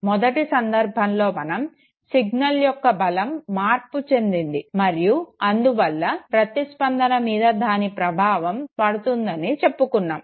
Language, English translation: Telugu, In the first case what we were saying was that the strength of the signal changes and therefore it has an impact on the response